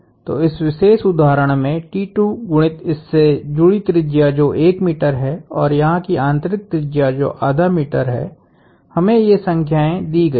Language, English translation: Hindi, So, in this particular instance T 2 times the radius associated with this is 1 meter and the inner radius here is half a meter, we are given those numbers